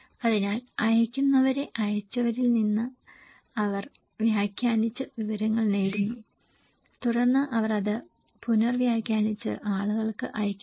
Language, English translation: Malayalam, So, senders, they are getting information from senders interpreting and then they are reinterpreting and sending it to the people